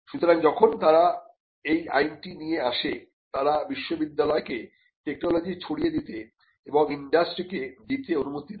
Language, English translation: Bengali, So, when they came up with the Act, they allowed university technology to be diffused into and taken up by the industry